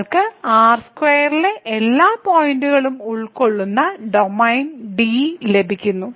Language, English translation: Malayalam, And therefore, we get the domain D which is all contains all the points here in means both are the real